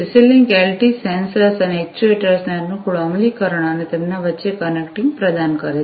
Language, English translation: Gujarati, CC link LT provides convenient implementation of sensors and actuators and connecting between them